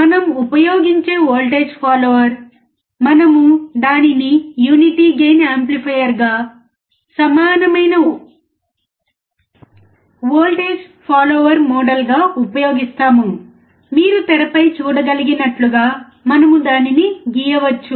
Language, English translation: Telugu, We know that voltage follower we use, if we use it as a unity gain amplifier the equivalent voltage follower model, we can draw it as you can see on the screen